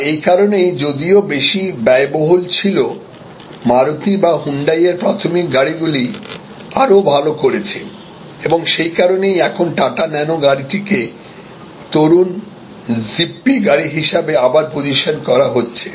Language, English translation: Bengali, Though it was more expensive, the entry level cars of Maruti or Hyundai did much better, even though they were more expensive and that is why the Tata Nano car is now getting reposition as a car for the young zippy car